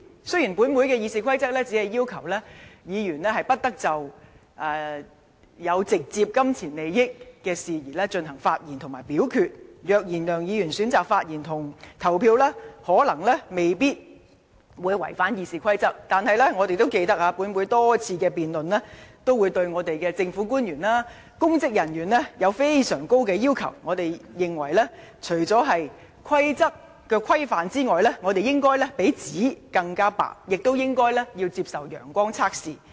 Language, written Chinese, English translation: Cantonese, 雖然本會的《議事規則》只要求議員不得就有直接金錢利益的事宜進行發言及表決，而即使梁議員選擇發言及投票，亦可能未必違反《議事規則》，但大家也記得，本會多次辯論均對政府官員和公職人員加諸非常高的要求，認為除了規則的規範外，應該比紙更白，亦應該接受"陽光測試"。, RoP only provides that Members should neither speak nor vote on matters in which they have direct pecuniary interests and even if Mr LEUNG decides to speak and vote this may not contravene RoP . Notwithstanding that as Members may recall we have imposed very high standard on government officials and public officers in a number of our previous debates requiring them not only to abide by the rules but also have to be whiter than white and subject to the sunshine test